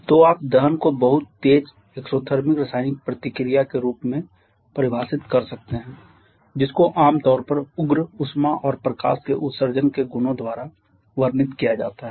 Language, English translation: Hindi, So, you can define combustion as a very rapid exothermic chemical reaction commonly characterized by the emission of radicals heat and light